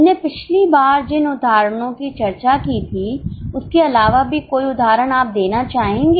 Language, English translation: Hindi, Any example would you like to give other than the examples which we discussed last time